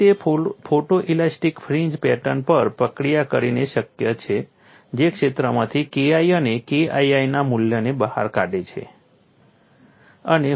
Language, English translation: Gujarati, So, it is possible by processing the photo elastic fringe pattern extracting the value of K1 and K2 from the field